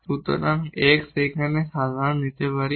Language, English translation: Bengali, So, x we can take common here